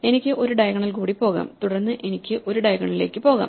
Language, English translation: Malayalam, I can go one more diagonal, then I can go one more diagonal